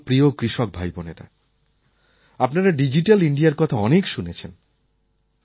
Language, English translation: Bengali, My dear farmer brothers and sisters, you must have repeatedly heard the term Digital India